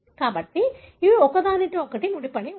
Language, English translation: Telugu, So, these are linked to each other